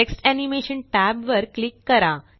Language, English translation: Marathi, Click the Text Animation tab